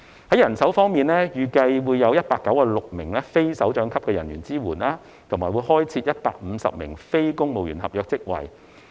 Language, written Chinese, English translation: Cantonese, 在人手方面，預計有196名非首長級人員支援，以及開設150個非公務員合約職位。, Speaking of manpower it is estimated that 196 non - directorate staff will be engaged in providing support whereas 150 non - civil service contract posts will be created